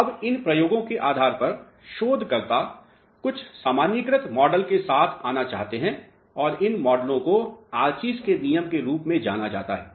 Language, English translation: Hindi, Now, based on these experiments what researches want to do is they want to come up with some generalized models and these models are known as Archie’s law